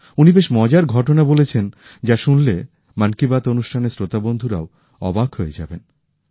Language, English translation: Bengali, He has shared very interesting facts which will astonish even the listeners of 'Man kiBaat'